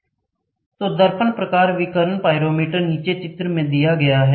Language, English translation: Hindi, So, the mirror type radiation pyrometer is shown in the figure below